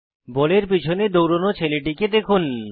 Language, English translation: Bengali, Watch this boy, who is chasing the ball